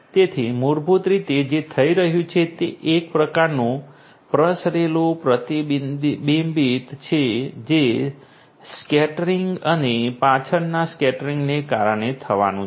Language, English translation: Gujarati, So, basically what is happening is some kind of sorry diffuse reflection that is going to happen due to the scattering and the back scattering